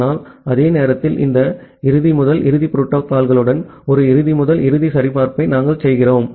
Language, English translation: Tamil, But at the same time we do a end to end validation with this end to end protocols